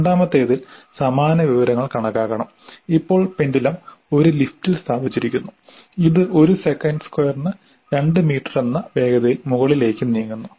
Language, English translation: Malayalam, But in the second one, the same information is to be calculated, but now the pendulum is placed in a lift which is moving upwards within an acceleration of 2 meters per second square